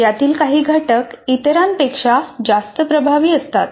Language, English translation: Marathi, Some of these instructional components are more effective than others